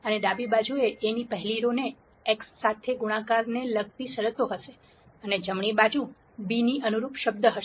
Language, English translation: Gujarati, And the left hand side will have terms corresponding to multiplying the first row of A with x and the right hand side will have the term corresponding to b